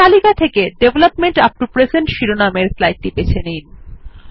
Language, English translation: Bengali, Select the slide entitled Development upto present from the list